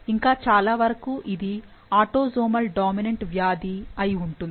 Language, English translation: Telugu, So, it seems that very likely that this is an autosomal dominant